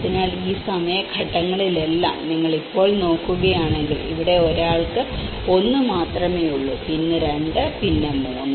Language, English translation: Malayalam, So, if you look at it now in all this time phases here it is only one person have 1; and then 2, then 3